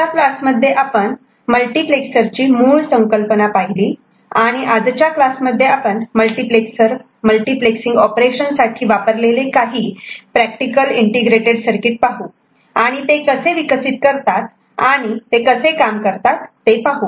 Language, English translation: Marathi, In the last class we had seen the basic concepts of multiplexer and in this particular class we shall look at some practical ICs, Integrated Circuits which are used for multiplexer multiplexing operation and we shall look into how they are developed and how they work